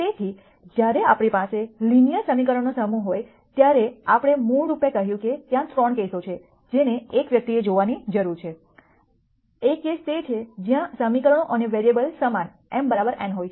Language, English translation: Gujarati, So, when we have a set of linear equations we basically said that there are 3 cases that one needs look at, one case is where number of equations and variables are the same m equal to n